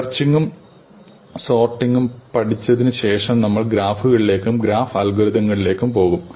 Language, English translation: Malayalam, Moving on from searching and sorting, we come to graphs and graph algorithms